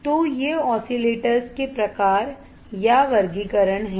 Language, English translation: Hindi, So, these are the types of or classification of the oscillators